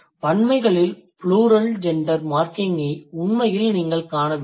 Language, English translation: Tamil, You don't really see much of the plural gender marking in the plurals